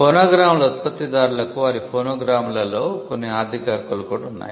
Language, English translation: Telugu, The producers of phonograms also had certain economic rights in their phonograms